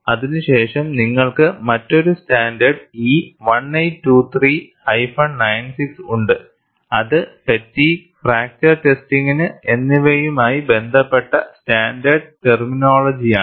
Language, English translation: Malayalam, Then you have another standard E 1823 96, Standard terminology relating to fatigue and fracture testing